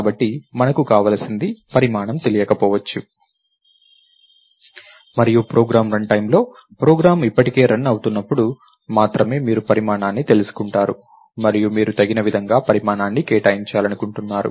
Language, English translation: Telugu, So, what we want is a mechanism by which the size may not be known and during the run time of the program when the program already starts running, only then you get to know the size and you want to allocate size as appropriately